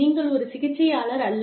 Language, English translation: Tamil, You are not a therapist